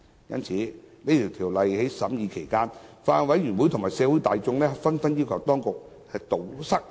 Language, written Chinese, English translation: Cantonese, 因此，在審議《條例草案》期間，法案委員會及社會大眾紛紛要求當局堵塞漏洞。, So in the course of scrutiny the Bills Committee and the community asked the Administration to plug the loopholes